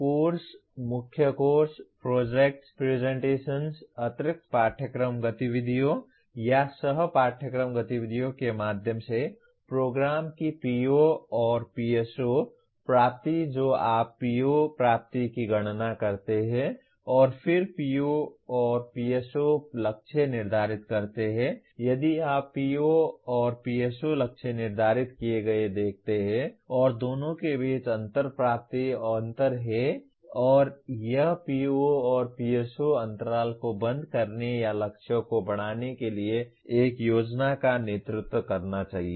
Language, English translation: Hindi, The PO/PSO attainment of the program through courses, core courses, projects, presentations, extra curricular activities, or co curricular activities they you compute the PO attainment and then you also set PO/PSO targets if you look at the PO/PSO targets are set and the difference between the two is the attainment gap and that should lead to a plan for closing the PO/PSO gaps or enhancement of the targets